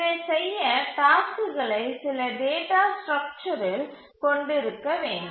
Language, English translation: Tamil, To do this, it must have the tasks in some data structure